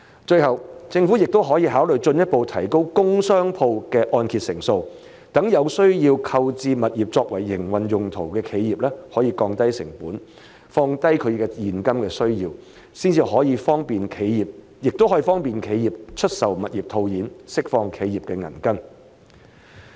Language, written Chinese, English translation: Cantonese, 最後，政府也可考慮進一步提高工商鋪的按揭成數，讓有需要購置物業作為營運用途的企業可降低成本，降低其現金需要，亦可方便企業出售物業套現，釋放企業的銀根。, Lastly the Government may also consider further raising the loan - to - value ratio for commercial and industrial properties so that enterprises who need to purchase properties for operational purposes can reduce their costs and cash needs . This move may also make it easier for enterprises to sell their properties to free up their cash flow